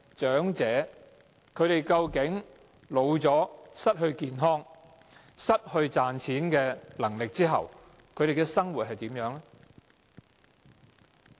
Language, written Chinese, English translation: Cantonese, 長者年老健康欠佳，又失去賺錢能力，叫他們如何生活？, Being in poor health and having lost the ability to make money how can the elderly maintain their living?